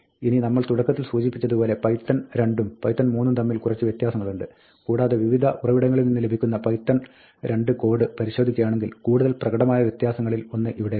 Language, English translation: Malayalam, Now, we mentioned at the beginning that, there are some differences between python 2 and 3 and here is one of the more obvious differences that you will see, if you look at python 2 code, which is available from various sources